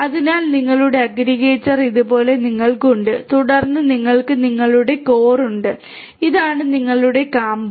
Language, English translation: Malayalam, So, then you have like this your aggregator and then you have your core this is your core